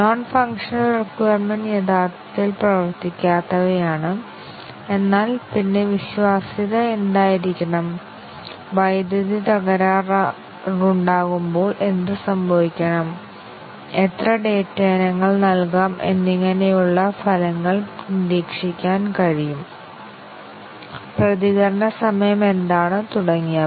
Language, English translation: Malayalam, The non functional requirements are those which are not really functions, but then the document items such as what should be the reliability, what should happen when there is a power failure, what should be the through put how many data items can be input and results can be observed, what is the response time and so on